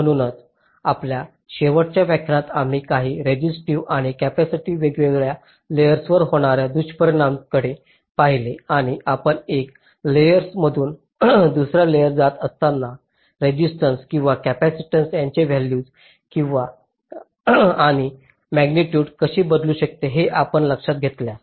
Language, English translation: Marathi, so in our last lecture, if you recall, we looked at some of the resistive and capacitive affects on the different layers and, as we move from one layer to the other, how the values and magnitudes of the resistance and capacitances can vary